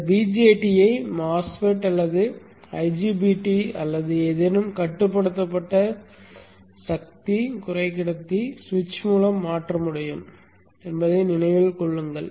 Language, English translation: Tamil, Remember that this BJT can be replaced by a MOSFET or an IGBT 2 any controlled power semiconductor switch